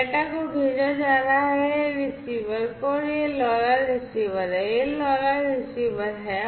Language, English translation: Hindi, So, the data are being sent and the data are being sent to the; are being sent to the receiver and this is this LoRa receiver, this is this LoRa receiver